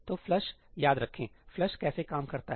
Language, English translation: Hindi, So, remember ëflushí how does flush work